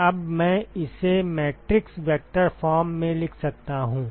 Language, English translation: Hindi, So, now I can write this in the matrix vector form